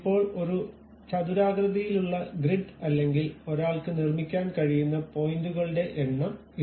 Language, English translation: Malayalam, Now, this is the way a rectangular grid or number of points one can really construct it